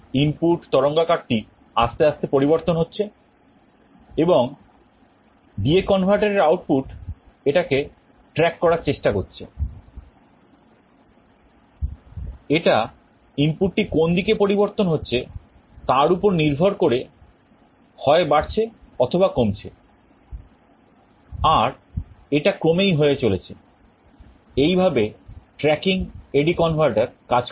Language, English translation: Bengali, The input waveform is also changing slowly and D/A converter output is trying to track it, it is a either increasing or decreasing depending on which direction the input is changing and this is happening continuously; this is how tracking AD converter works